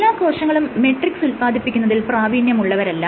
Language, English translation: Malayalam, So, it is not that all types of cells can secrete the matrix